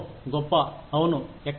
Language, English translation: Telugu, great, yeah, where